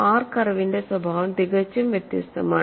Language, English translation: Malayalam, The nature of R curve is totally different; it is very steep